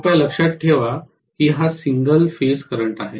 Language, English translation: Marathi, Please remember it is a single phase current